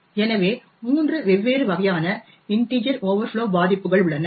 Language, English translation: Tamil, So, there are 3 different types of integer overflow vulnerabilities